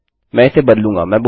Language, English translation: Hindi, Ill change this